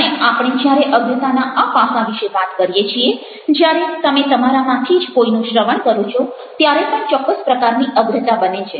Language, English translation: Gujarati, and when we are talking about this aspect of foregrounding, even when you are listening to somebody, within that also certain kind of foregrounding take place